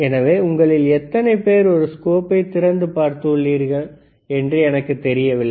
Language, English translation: Tamil, So, I do n ot know how many of you have opened doors in a a scope